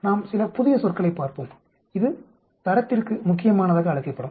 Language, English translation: Tamil, Let us look at some new terms this is called the critical to quality